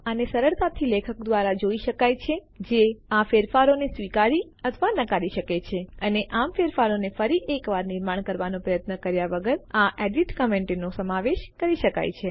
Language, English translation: Gujarati, This can be easily seen by the author who can accept or reject these changes and thus incorporate these edit comments without the effort of making the changes once again